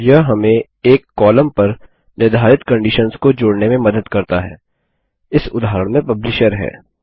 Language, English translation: Hindi, It helps to combine conditions based on a single column, in this case, the Publisher